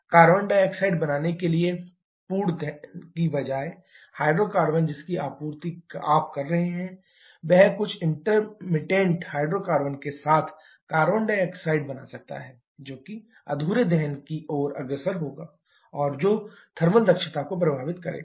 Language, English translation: Hindi, The hydrocarbon that you are supplying instead of burning complete to form carbon dioxide, that can form carbon monoxide of some intermittent hydrocarbons leading to incomplete combustion and which can affect the thermal efficiency as well